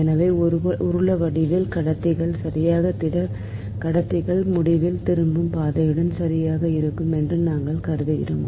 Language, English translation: Tamil, so we will assume that conductors such of cylindrical type, right, solid conductors, right, with return path lying at infinity